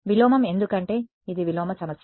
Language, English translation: Telugu, Inverse because it is an inverse problem